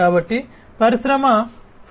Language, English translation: Telugu, In Industry 4